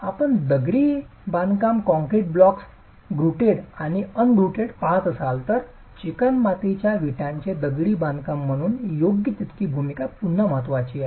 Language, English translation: Marathi, If you are looking at block masonry, concrete blocks, grouted and ungrouted, the role is again not as significant as in clay brick masonry